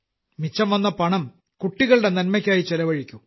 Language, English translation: Malayalam, The money that is saved, use it for the betterment of the children